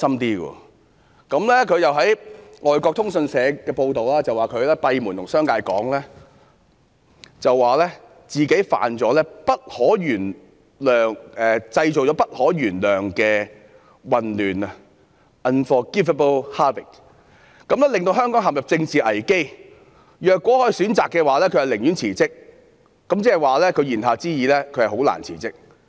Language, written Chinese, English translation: Cantonese, 根據外國通訊社的報道，她閉門告訴商界自己製造了不可原諒的混亂，令香港陷入政治危機，如果可以選擇，她寧願辭職，言下之意是她很難辭職。, As reported by foreign correspondents she told the business sector behind closed doors that she had wreaked an unforgivable havoc plunging Hong Kong into a political crisis and if she had a choice she would rather quit implying that it was difficult for her to quit